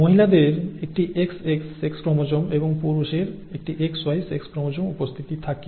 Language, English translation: Bengali, The female has an XX sex chromosome occurrence and the male has a XY sex chromosome occurrence